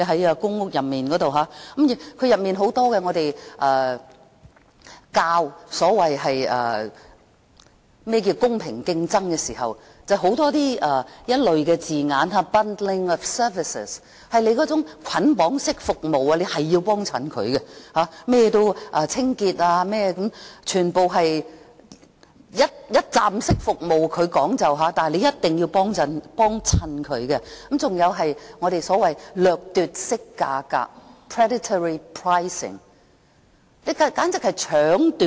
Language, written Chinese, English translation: Cantonese, 在公屋內，當我們推廣何謂"公平競爭"時，卻有很多這類的字眼，例如捆綁式服務，我們一定要光顧它的清潔服務等，全部都是它所謂的"一站式服務"，你一定要光顧它；還有所謂的"掠奪式價格"，簡直是搶奪。, In public housing estates while we promote the so - called fair competition there are many such phrases like bundling of services . We must use its cleaning service and others . Everything is what it claims as one - stop services which we must use